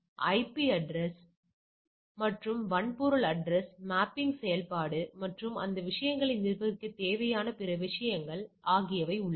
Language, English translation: Tamil, So, IP address versus hardware address is the mapping function and there are other things which needed to manage those things